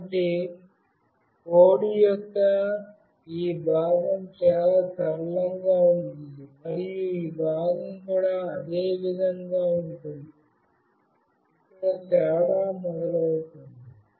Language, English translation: Telugu, So, this part of the code will be fairly the straightforward, and this part as well will be the same, where the difference starts is here